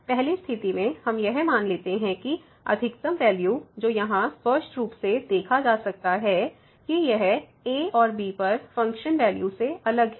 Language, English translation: Hindi, The first one let us assume that the maximum value in this situation here which is clearly can be observed that it is different than the function value at and